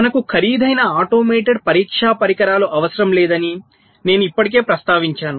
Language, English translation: Telugu, we first one: i already mentioned that we do not need an expensive automated test equipment